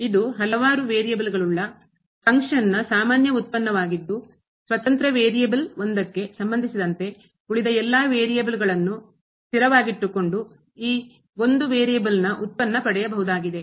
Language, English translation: Kannada, It is a usual derivative of a function of several variables with respect to one of the independent variable while keeping all other independent variables as constant